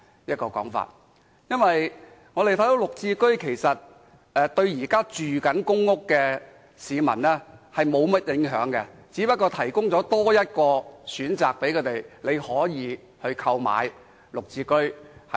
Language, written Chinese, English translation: Cantonese, 事實上，綠置居對於現時的公屋居民無甚影響，不過是多提供一個選擇，讓他們可以購買綠置居。, As a matter of fact GSH bears little impact on existing PRH residents . It merely provides an additional option for them to buy GSH homes